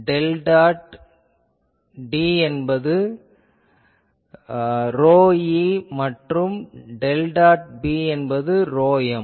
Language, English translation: Tamil, Del dot D is equal to rho e and del dot B is equal to rho m